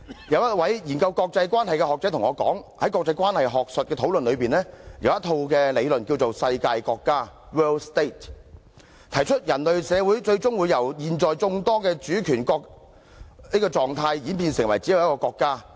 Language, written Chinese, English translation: Cantonese, 有一位研究國際關係的學者對我說，在國際關係學術的討論中，有一套理論叫"世界國家"，提出人類社會最終會由現在眾多主權國這個狀態演變成為只有一個國家。, One academic engaged in the study of international relations told me that in the academic discussions on international relations there is a set of theories called world state which suggests that human society will eventually evolve from the present state of having many sovereign states to having just one state